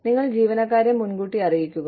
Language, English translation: Malayalam, You notify employees, ahead of time